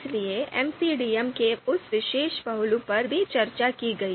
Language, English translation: Hindi, So that particular aspect of MCDM was also discussed